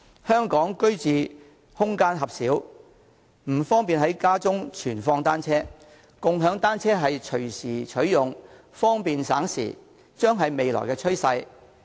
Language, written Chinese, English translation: Cantonese, 香港居住空間狹小，不方便在家中存放單車，而共享單車可隨時取用，方便省時，將會是未來的趨勢。, Given the small and narrow living space in Hong Kong it is not convenient to keep bicycles at home . Available at any time shared bicycles are convenient and save time . They will be the future trend